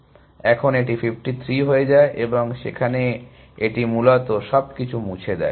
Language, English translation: Bengali, So, now this becomes 53 and there it deletes this essentially everything